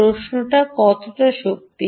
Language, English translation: Bengali, the question is how much power